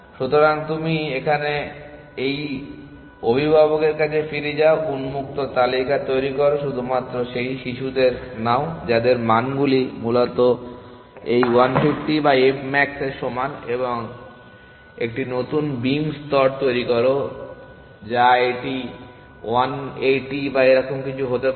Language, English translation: Bengali, So, you go back to this parent here, generate the open list take children only whose values are greater that equal to this 1 50 or f max essentially and construct a new beam layers depending on something it could something like 1 80 or something like that